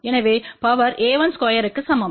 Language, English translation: Tamil, So, power is equal to a 1 square